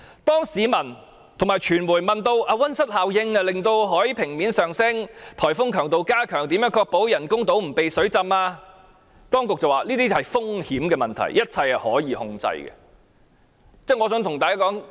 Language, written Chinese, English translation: Cantonese, 當市民和傳媒問到，溫室效應令海平面上升及颱風強度加強，會如何確保人工島不被淹沒時，當局指這些風險問題均屬控制範圍之內。, When people and the media ask how to ensure that the artificial islands will not be submerged given that the greenhouse effect will raise the sea level and enhance the force of typhoons the authorities say that all such risks are within control